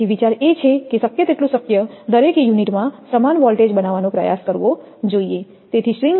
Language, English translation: Gujarati, So, idea should be to try to make as much as possible, equal voltage across the each unit that is the idea